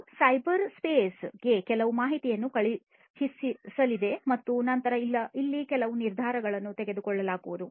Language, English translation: Kannada, It is going to send certain information to the cyberspace and then some decision is going to be made over here some decision is going to be made